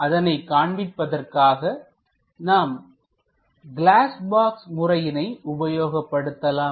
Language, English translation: Tamil, For example, we would like to show it using glass box method the layout